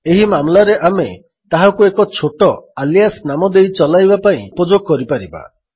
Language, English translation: Odia, In this case we can give it a short alias name and use the alias name instead, to invoke it